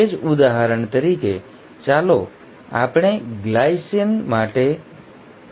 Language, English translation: Gujarati, The same, let us say this codes for glycine, for example